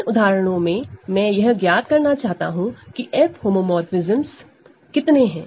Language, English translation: Hindi, So, in these examples, I want to determine how many F homomorphisms are there